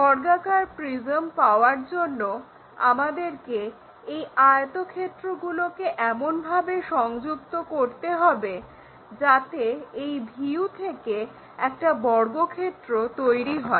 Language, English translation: Bengali, To get square prisms we have to connect these rectangles in such a way that from this view it makes square